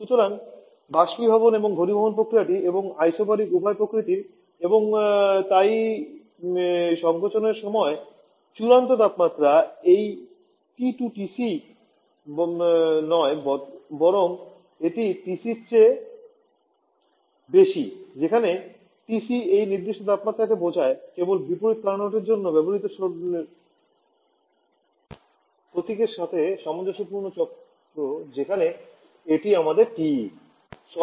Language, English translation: Bengali, So, both evaporation and condensation process and isobaric in nature and therefore during the compression the final temperature this T2 is not TC rather it is greater than TC refers to this particular temperature just being continuous consistent with the notation used for the reverse Carnot cycle where this is our TE